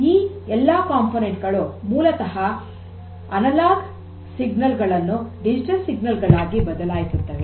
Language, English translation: Kannada, So, all these components here are basically to change the analog signals to digital form